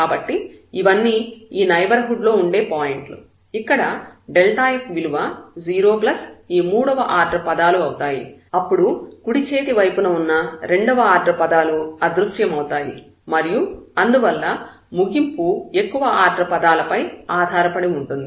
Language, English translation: Telugu, So, all these are the points in the neighborhood where delta f is 0 plus this third order terms, then the second order terms of the right hand side vanish and then therefore, the conclusion will depend on the higher order terms